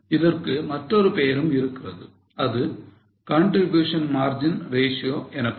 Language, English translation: Tamil, There is another name for it also that is known as contribution margin ratio